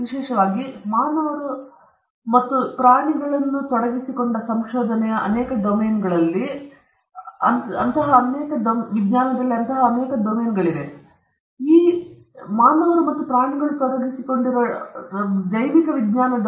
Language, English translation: Kannada, Particularly when human beings are involved and also when animals are involved in many domains we know in science, in many domains human beings and animals are involved in research; particularly animals